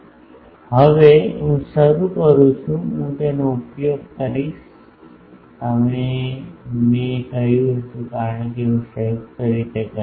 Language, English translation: Gujarati, Now, next I start I will use that as I said that since I will jointly do